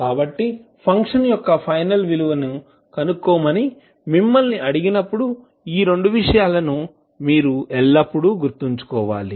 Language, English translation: Telugu, So these two things you have to always keep in mind, when you are asked to find the final value of the function f t that is f infinity